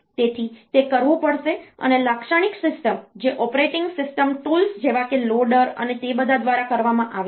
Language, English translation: Gujarati, So, that has to be done and the typical system, that is done by means of the operating system tools like loader and all that